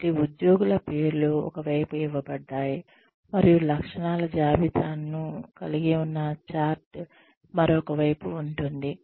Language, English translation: Telugu, So, the names of the employees are given on one side, and the chart containing the list of traits is on the other side